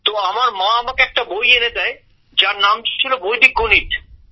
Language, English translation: Bengali, So, my mother brought me a book called Vedic Mathematics